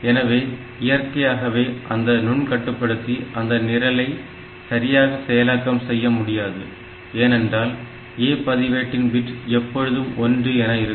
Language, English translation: Tamil, So, naturally that microcontroller will not be able to run this program correctly, because for the A register the bit is always, that particular bit is always 1